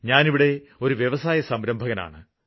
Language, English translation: Malayalam, I am working here as an entrepreneur